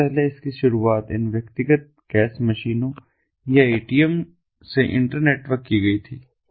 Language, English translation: Hindi, first it started with these individual cash machines or the atms being internetworked